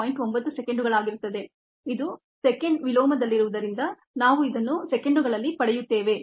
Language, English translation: Kannada, twenty eight point nine seconds, because this was in second inverse, we get this in seconds